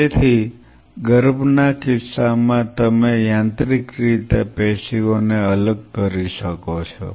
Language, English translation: Gujarati, So, in the case of fetal you can mechanically dissociate the tissue